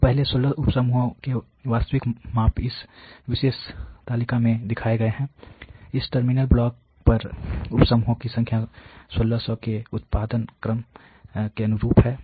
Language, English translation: Hindi, So, the actual measurements of the first 16 sub groups are shown in this particular table, the numbers of sub groups correspond to a production order of for 1600 on these terminal blocks